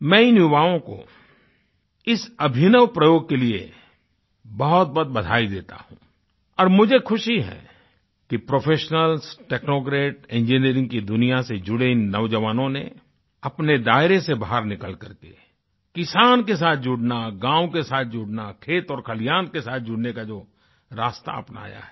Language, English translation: Hindi, I congratulate these young people for this innovative experiment and I am happy that these young professionals, technocrats and others associated with the world of engineering, got out of their comfort zone to make a connect with the farmer, the village, fields and barns